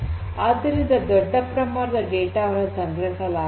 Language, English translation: Kannada, So, huge volumes of data are stored